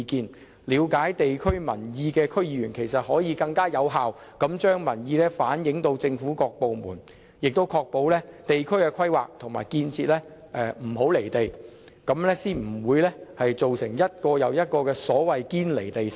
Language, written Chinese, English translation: Cantonese, 其實，了解地區事務的區議員可更有效地將民意向政府各部門反映，確保地區規劃和建設不"離地"，這樣才不會造成一個又一個所謂的"堅離地城"。, In fact DC members well versed in district affairs can more effectively convey the wishes of people to various government departments so as to ensure that district planning and construction is not divorced from the people . Only in this way will no Westminster bubble so to speak be formed